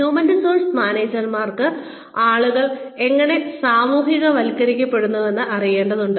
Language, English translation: Malayalam, Human resources managers need to know, how people have been socialized